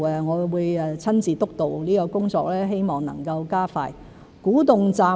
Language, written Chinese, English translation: Cantonese, 我會親自督導這項工作，希望能加快進度。, I will personally monitor and steer this project in the hope of speeding up its progress